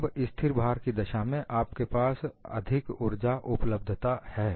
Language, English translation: Hindi, Now, in the case of a constant load, you have more energy availability